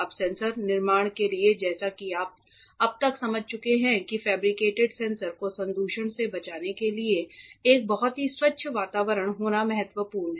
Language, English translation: Hindi, Now, for sensor fabrication as you would have understood by now it is very important to have a very clean environment to avoid contamination of the fabricated sensor